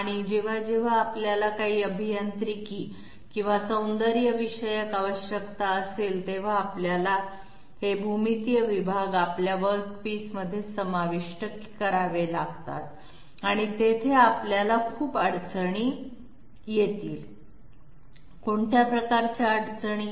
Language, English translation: Marathi, But whenever we have some you know Engineering or aesthetic requirement, we have to incorporate those segments those geometrical segments into our part and there we will have a lot of difficulties, what sort of difficulties